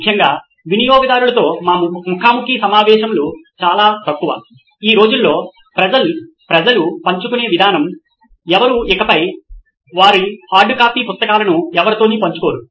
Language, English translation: Telugu, Especially few of our interviews with customers, the way people are sharing these days, no one is no longer sharing their hardcopy books with anyone anymore